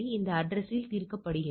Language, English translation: Tamil, So, at this address is resolved